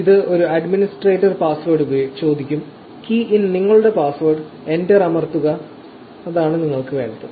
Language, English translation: Malayalam, It will ask for an administrator password, key in your password, press enter and that is all you need